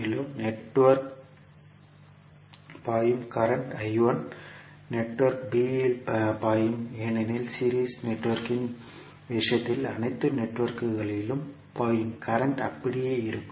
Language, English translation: Tamil, Also, the current I 1 which is flowing in the network a will also flow in network b because in case of series network the current flowing through all the networks will remain same